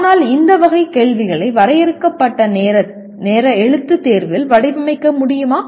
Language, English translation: Tamil, But can we design questions of this category in limited time written examination